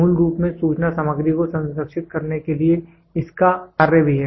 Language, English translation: Hindi, It has a function also to preserve the information content in the original form